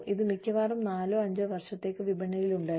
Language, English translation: Malayalam, It was in the market for, maybe 4 or 5 years, at the most